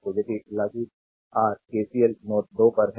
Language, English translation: Hindi, So, if you apply your ah KCL are at node 2, right